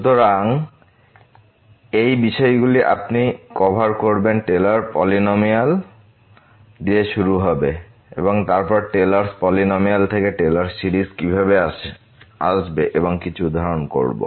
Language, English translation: Bengali, So, these are the topics you will cover will start with the Taylor’s polynomial and then coming back to this Taylor series from the Taylor’s polynomial and some worked out examples